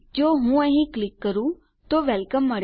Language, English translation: Gujarati, If I click here, we get Welcome